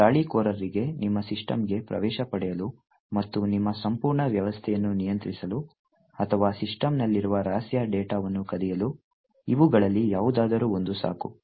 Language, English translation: Kannada, Any one of these is sufficient for the attacker to get access into your system and therefore control your entire system or steal secret data that is present in the system